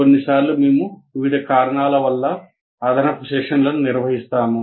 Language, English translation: Telugu, And sometimes we conduct additional sessions for various reasons